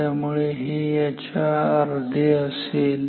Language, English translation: Marathi, So, this will become half of this